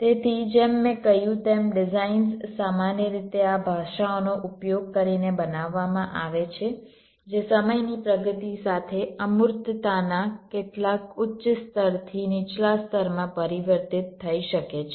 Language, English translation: Gujarati, so, as i had said, designs are created, typically h, d, using this languages, which can be transformed from some higher level of abstraction to a lower level of abstraction as time progresses